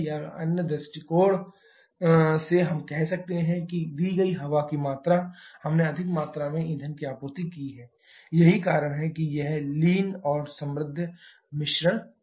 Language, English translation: Hindi, Or from other point of view, we can say that the given quantity of air we have supplied more amount of fuel that is why this lean and rich terms comes in